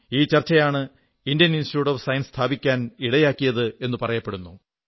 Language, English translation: Malayalam, It is said… this very discussion led to the founding of the Indian Institute of Science